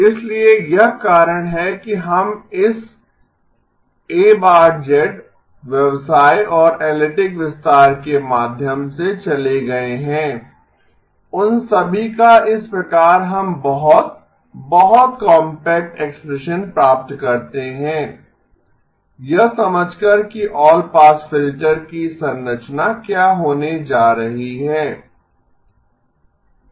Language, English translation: Hindi, So the reason we have gone through this A tilde business and the analytic extension all of that is just sort of we get very, very compact expression, understanding of what the structure of an all pass filter is going to be